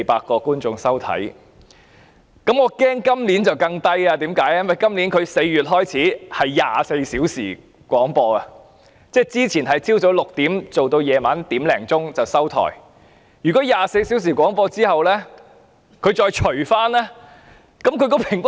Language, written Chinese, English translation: Cantonese, 我擔心今年的數字會更低，因該台自今年4月起進行24小時廣播，而之前則是早上6時至凌晨1時，那麼在24小時廣播後，平均收視率必會更低。, I worry that the rating will drop further this year as Channel 31 began 24 - hour broadcasting in this April . As the broadcasting hours of the Channel used to be 6col00 am to 1col00 am the average viewership will definitely drop when it operates 24 - hour broadcasting now